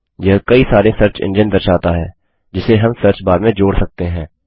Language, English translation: Hindi, It displays a number of search engines that we can add to the search bar